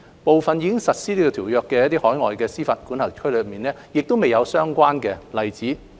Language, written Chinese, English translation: Cantonese, 部分已實施該條約的海外司法管轄區也沒有相關例子。, There are also no examples for the term in some overseas jurisdictions which have implemented the Treaty